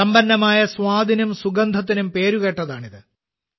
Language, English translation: Malayalam, It is known for its rich flavour and aroma